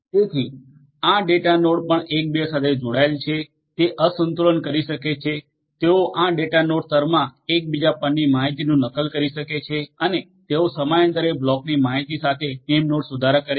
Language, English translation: Gujarati, So, this data nodes also are interconnected with each other, they can imbalance, they can replicate the data across each other in this data node layer and they update the name node with the block information periodically